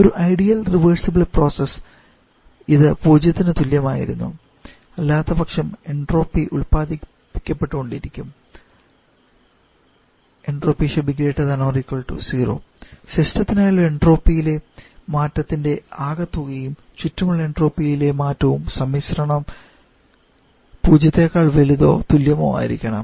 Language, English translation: Malayalam, In the ideal case of reversible process it is equal to zero otherwise entropy is always getting generated that is the total change in entropy for the system + change in entropy for the surrounding this combination has to be equal to zero